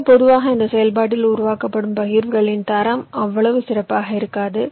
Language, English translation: Tamil, so usually the quality of the partitions that are generated in this process is not so good